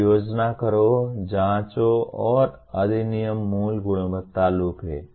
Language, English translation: Hindi, So plan, do, check, and act is the basic quality loop